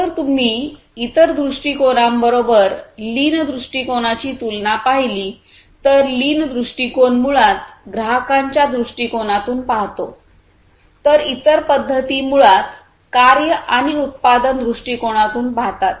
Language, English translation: Marathi, So, if you look at the comparison of lean approach versus other approaches, lean approach is basically look from the customers’ perspective, whereas other approaches basically look from the task and production perspective